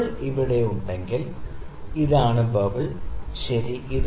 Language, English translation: Malayalam, If my bubble is here, this is my bubble, ok